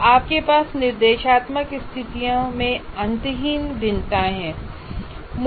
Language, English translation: Hindi, So you have endless variations in the instructional situations